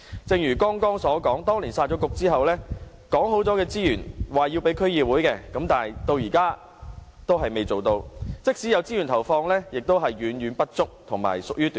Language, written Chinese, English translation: Cantonese, 正如我剛才所說，當年"殺局"後，政府說好要投放給區議會的資源，至今仍然沒有履行，即使投放資源，也遠遠不足，而且屬於短線。, As I said earlier extra resources to the DCs was promised when the Municipal Councils were scrapped but this has not really happened so far . Even if resources were committed they were far from sufficient and just for short - term purposes